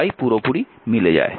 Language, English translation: Bengali, So, it is exactly matching